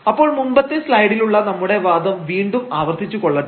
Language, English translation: Malayalam, So, let me just again repeat the argument we had in the previous slide